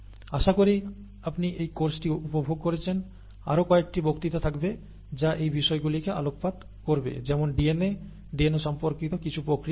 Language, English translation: Bengali, Hope that you enjoyed this course there will be a few more lectures that come up in terms of, which takes, or which throws light on some of these aspects such as DNA, the processes related to DNA and so on